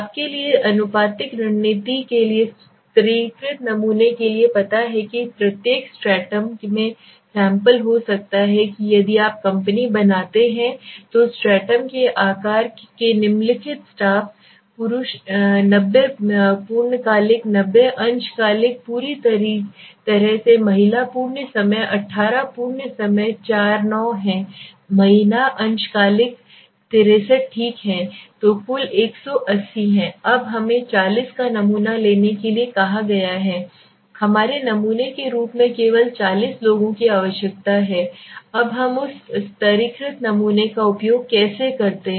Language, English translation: Hindi, For proportional strategy for you know for stratified sampling what did you saying the size of the sample in each Stratum can be proposition ate to the size of the stratum suppose if you company the following staff male 90 full time 90 part time fully 18 female full time 18 full time 4 is 9 female is part time is 63 okay so the total is 180 now we are asked to take a sample of 40 so we need only 40 people as our sample now how do we use that stratified sample let us see